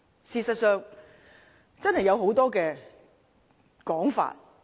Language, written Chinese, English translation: Cantonese, 事實上，真的有很多說法。, In fact there are indeed many interpretations of it